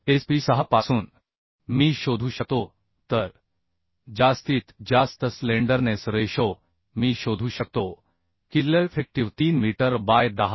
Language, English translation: Marathi, 6 from SP 6 I can find out so maximum slenderness ratio I can find out yield effective is 3 meter by 10